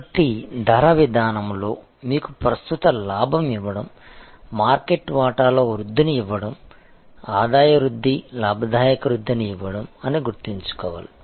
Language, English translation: Telugu, So, in pricing policy therefore to remembering that it is to give us current profit, give us growth in market share, give us revenue growth as well as profitability growth